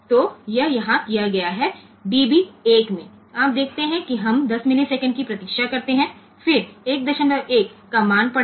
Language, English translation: Hindi, So, that is done here in db 1 you see that we wait for 10 milliseconds, then again wait for they, then again read the value of 1